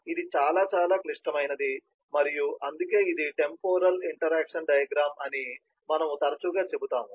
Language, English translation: Telugu, this is very, very critical and that is why often we say this is a temporal interaction diagram